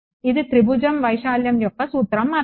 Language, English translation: Telugu, That is just formula of area of triangle